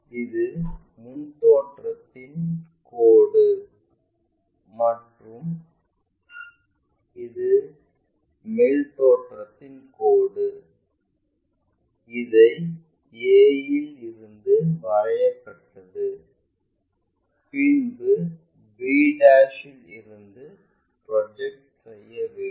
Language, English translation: Tamil, This is the front view line and this is the top view line, we have drawn that from a then drawing draw a projector from b '